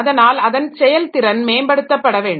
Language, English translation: Tamil, So, that performance has to be maximized